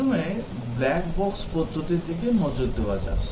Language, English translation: Bengali, First, let us look at the black box approach